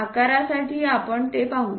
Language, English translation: Marathi, For size let us look at it